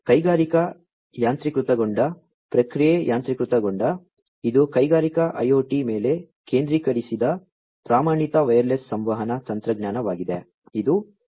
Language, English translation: Kannada, Industrial automation, process automation, this is a standard wireless communication technology focused on industrial IoT, it is kind of a variant of 802